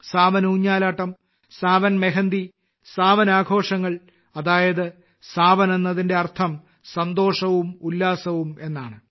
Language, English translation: Malayalam, The swings of Sawan, the mehendi of Sawan, the festivities of Sawan… that is, 'Sawan' itself means joy and enthusiasm